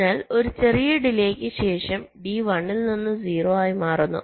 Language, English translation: Malayalam, so after small delay, d is changing from one to zero